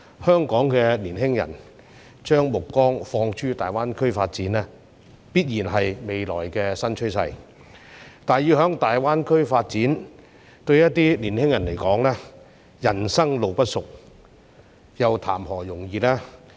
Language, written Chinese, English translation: Cantonese, 香港青年人將目光放諸大灣區發展，必然是未來新趨勢，但要在大灣區發展，對一些青年人而言，人生路不熟，談何容易。, It will definitely become a new trend for the young people in Hong Kong to set their sights on the development of GBA . Yet to some young people who lack the network and knowledge of the place it is really not easy for them to develop in GBA